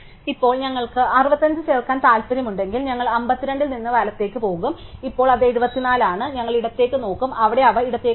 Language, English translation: Malayalam, Now, for instance if we want to insert 65, then we will go right from 52 and now it is 74 we will look left, where they is nothing to the left